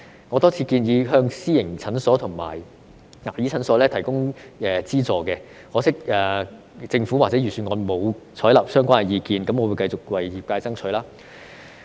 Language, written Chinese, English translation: Cantonese, 我多次建議向私營診所和牙醫診所提供資助，可惜政府或預算案均沒有採納相關意見，我會繼續為業界爭取。, I have repeatedly suggested the Government to provide subsidies for private medical and dental clinics . Unfortunately my suggestions have not been adopted by the Government or in the Budget . I will nonetheless continue to fight for the interests of our sector